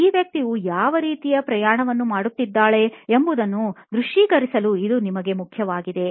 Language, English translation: Kannada, This is important for you to visualize what kind of journey is this person going through